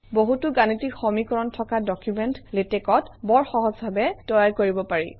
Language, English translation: Assamese, Documents with a lot of mathematical equations can also be generated easily in Latex